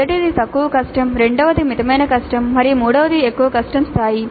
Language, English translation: Telugu, The first one is lower difficulty, second one is moderate difficulty and the third one is higher difficulty level